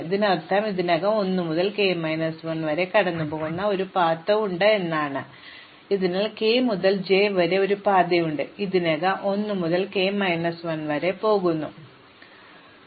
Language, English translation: Malayalam, This means that I have a path from i to k already which goes through 1 to k minus 1 and I have a path from k to j already which goes 1 to k minus 1 and I am combining these two